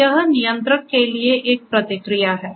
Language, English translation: Hindi, So, this there is a feedback back to the controller